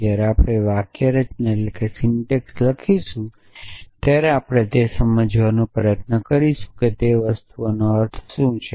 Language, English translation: Gujarati, So, as we write the syntax we will try to understand what is the meaning of those things